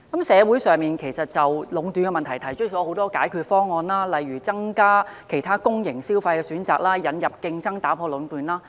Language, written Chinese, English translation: Cantonese, 社會上曾就壟斷問題提出很多解決方案，例如增加其他公營消費選擇及引入競爭打破壟斷。, There have been many proposals for solving the problem of monopoly from the community such as increasing alternative spending options provided by public organizations and bringing in competition to break monopolies